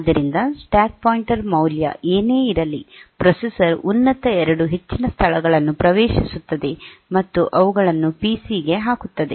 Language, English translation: Kannada, So, whatever be the stack pointer value, the processor will access the top 2 most locations and put them onto the PC